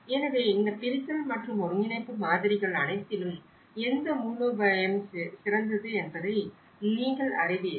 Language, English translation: Tamil, So, you know, out of all these segregation and integration models which strategy is the best